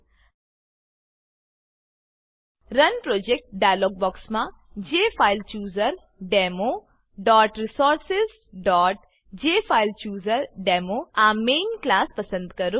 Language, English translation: Gujarati, In the Run Project dialog box, select the jfilechooserdemo.resources.JFileChooserDemo main class